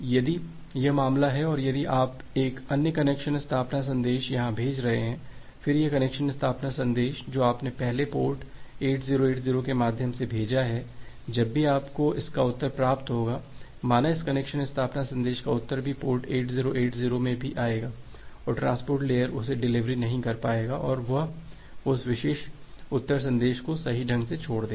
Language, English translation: Hindi, If it is the case and if you are sending another connection establishment message here, then this earlier connection establishment message that you have sent through port 8080 whenever you will receive a reply of that, say a reply of this connection establishment message that will also come in port 8080 and the transport layer will not be able to deliver that and it will correctly discard that particular reply message